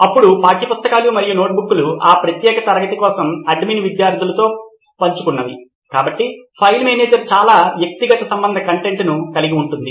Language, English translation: Telugu, Then textbooks and notebooks would be very particularly what the admin has shared with the students for that particular class, so file manager can have a lot of personalised content as well